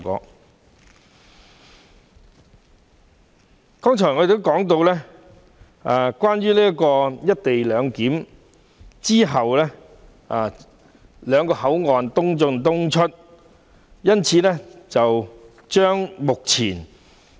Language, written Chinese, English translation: Cantonese, 我剛才曾提及，"一地兩檢"有助促成兩地口岸的"東進東出、西進西出"。, I have mentioned just now that the co - location arrangement will help put into practice the principle of East in East out West in West out for Hong Kong and Mainland ports